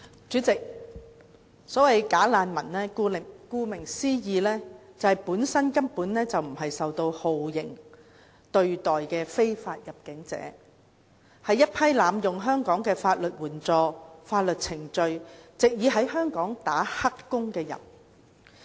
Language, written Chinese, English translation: Cantonese, 主席，所謂"假難民"，顧名思義，本身根本不是受到酷刑對待的非法入境者，是一批濫用香港的法律援助、法律程序，藉以在香港"打黑工"的人。, President as the name implies bogus refugees are not illegal entrants who were subjected to torture but a group of people who abuse the legal aid and legal procedures of Hong Kong in order to take up illegal employment in Hong Kong